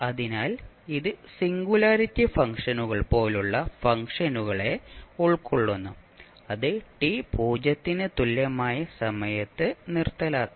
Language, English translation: Malayalam, So this will accommodate the functions such as singularity functions, which may be discontinuous at time t is equal to 0